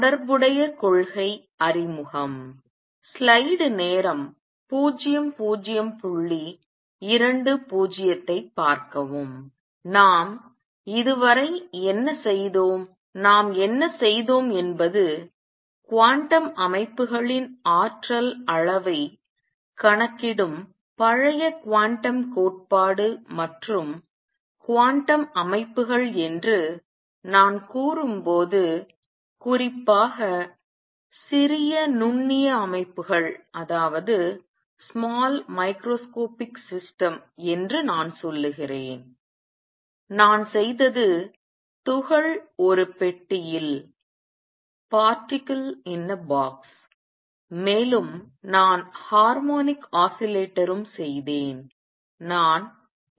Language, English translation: Tamil, Let me just review what we have done so far and what we have done is the old quantum theory in which you calculate it energy levels of quantum systems and when I say quantum systems, I mean small microscopic systems in particular, what I did was particle in a box I also did harmonic oscillator and I also did an atom